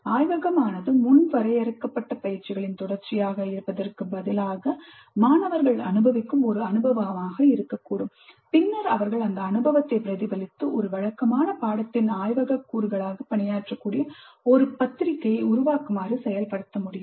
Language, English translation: Tamil, Instead of the laboratory being a series of predefined exercises, it can be an experience through which the students go through and then they reflect on the experience and create a journal and that can serve as the laboratory component of a regular course